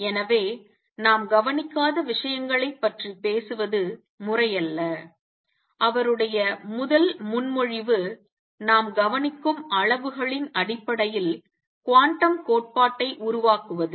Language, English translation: Tamil, So, it is not proper to talk about things that we do not observe, and his first proposal one was formulate quantum theory in terms of quantities that we observe